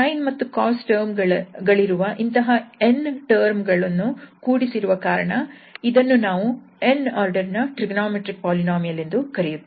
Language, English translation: Kannada, So, and since there are n such terms are added for having this cos and sin terms, so we call this trigonometric polynomial of order n